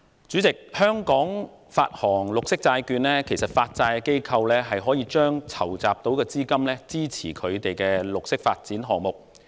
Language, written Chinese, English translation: Cantonese, 主席，就香港發行綠色債券方面，其實發債機構是可以把籌集所得資金用以發展綠色項目。, President regarding the issuance of green bonds in Hong Kong the issuers may actually use the proceeds thus raised to fund projects providing environmental benefits